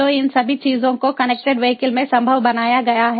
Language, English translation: Hindi, so all these things are made possible in the connected vehicles